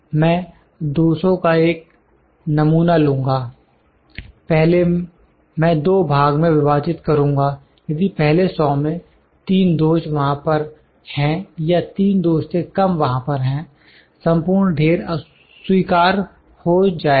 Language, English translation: Hindi, I will select a sample of 200, first I will divide into two parts, if in first 100, the 3 defects are there, or lesser than 3 defects are there the whole lot will be accepted